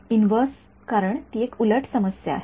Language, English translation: Marathi, Inverse because it is an inverse problem